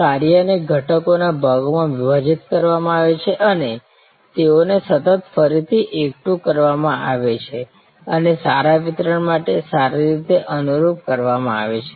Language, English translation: Gujarati, The work is broken up into constituent’s parts and they are continually then reassembled and fine tuned for good delivery